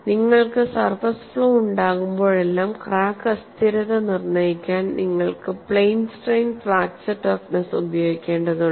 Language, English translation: Malayalam, Whenever you have a surface flaw, for you to determine crack instability, you will have to use the plane strain fracture toughness